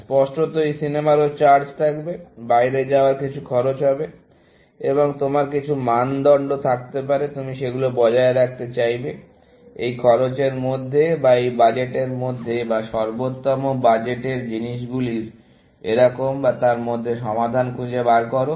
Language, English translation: Bengali, Obviously, movies also will have charges; eating out will have some costs, and you may have some criteria; you want to those, find the solution within this cost, or within this budget, or of optimal budget and things like that